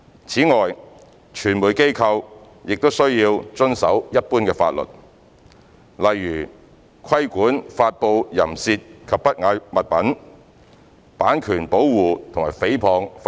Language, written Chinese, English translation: Cantonese, 此外，傳媒機構均須遵守一般法律，例如規管發布淫褻及不雅物品、版權保護和誹謗等法例。, 268 . Besides they are also subject to the general law such as in respect of publication of obscene or indecent articles copyright protection defamation etc